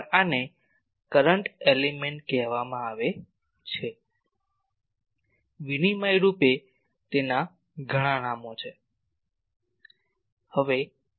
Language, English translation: Gujarati, Also this is called a current element; interchangeably there are many names to it